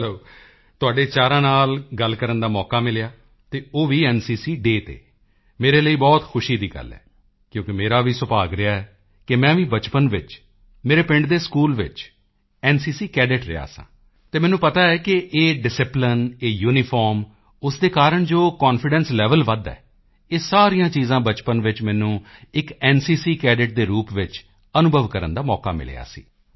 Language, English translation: Punjabi, It is matter of joy for me because I also had the good fortune to be an NCC Cadet in my village school as a child, so I know that this discipline, this uniform, enhances the confidence level, all these things I had a chance to experience as an NCC Cadet during childhood